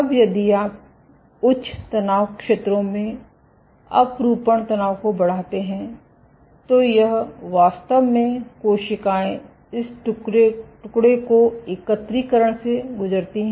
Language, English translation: Hindi, Now, if you increase the shear stress at high stress zones, this actually the cells this lamin undergo aggregation